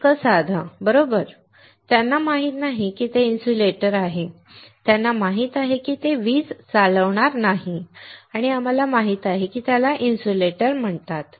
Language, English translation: Marathi, So simple, right, they do not know that it is an insulator, they know it will not conduct electricity, and we know it is called insulator